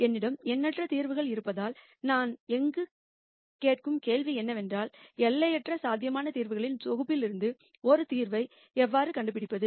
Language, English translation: Tamil, Since I have in nite number of solutions then the question that I ask is how do I find one single solution from the set of infinite possible solutions